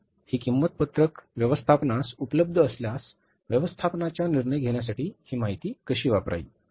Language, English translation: Marathi, Now this cost sheet, if it is available to the management, how to use this information for the management decision making